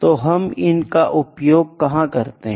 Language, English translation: Hindi, So, where do we apply these